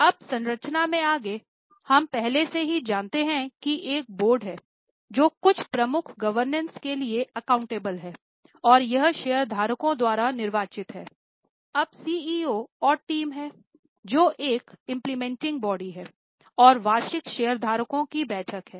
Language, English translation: Hindi, Now, further into the structure, we already know there is a board that's a major body accountable for governance and that's a elected body by the shareholders